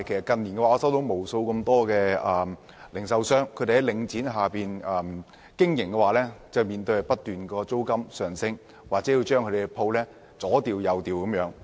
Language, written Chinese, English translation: Cantonese, 近年來，無數在領展下經營的零售商向我表示，租金不斷上升，或經常被要求搬遷。, In recent years countless retailers operating under Link REIT have related to me that rents have keep soaring while they have frequently been asked to relocate